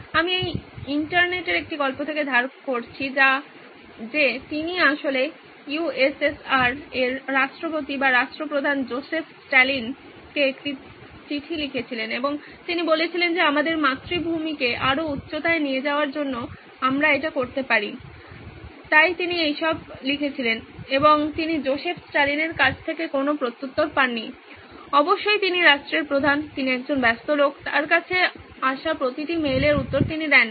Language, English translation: Bengali, I am borrowing this from a story on the internet that he actually wrote a letter to Joseph Stalin the President or the head of state for the USSR at that time and he said this is what we can do to you know take our motherland to greater heights so he wrote all that and he did not hear back from Joseph Stalin of course he is the head of the state, he is a busy guy, he does not reply to every mail that comes to him